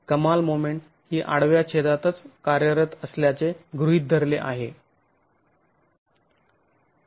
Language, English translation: Marathi, The maximum moment is assumed to be acting at that cross section itself